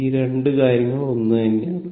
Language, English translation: Malayalam, This thing and this 2 things are same